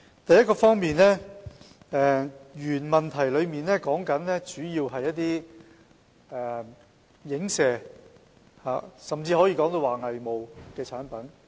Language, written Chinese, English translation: Cantonese, 第一方面，主體質詢主要是有關一些影射，甚至可說是偽冒的產品。, First the thrust of the main question is about alluded or even counterfeit products